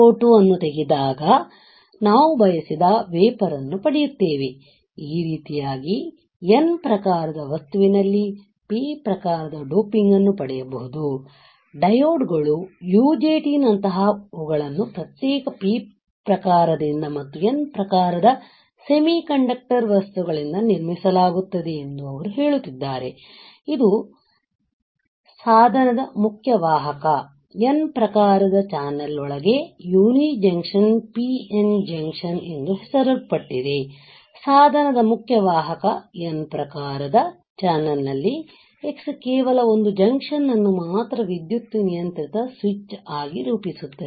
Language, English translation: Kannada, This is how we can obtain a P type doping in N type material; that is what he is saying that it like diodes uni junction transistor are constructed from separate P type and N type semiconductor materials forming a single named uni junction PN junction within the main conducting N type channel of the device the device with only one junction that X is exclusively as electrically controlled switch